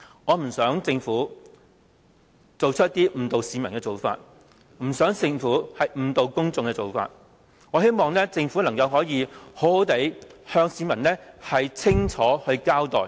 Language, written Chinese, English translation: Cantonese, 我希望政府不要做出一些誤導市民的事情，也希望政府能夠向市民清楚交代。, I hope the Government will refrain from doing anything that misleads the public and I also hope the Government will give the public a clear and full picture of the whole thing